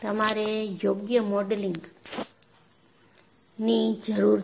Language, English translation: Gujarati, So, you need to have proper modeling